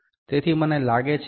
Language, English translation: Gujarati, So, I think it is 0